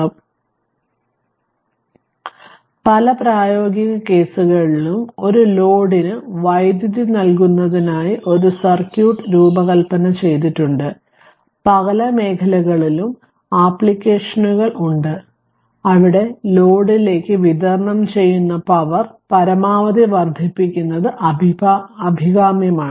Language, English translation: Malayalam, So, the in many practical cases a circuit is designed to provide power to a load, there are applications in many areas, where it is desirable to maximize the power delivered to the load right